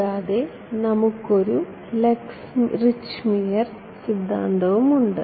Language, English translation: Malayalam, And, we have that Lax Richtmyer theorem as well